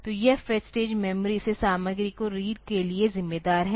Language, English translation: Hindi, So, this fetch stage is responsible for reading the content from the memory